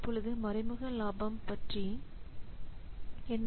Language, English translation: Tamil, Now what is about indirect benefits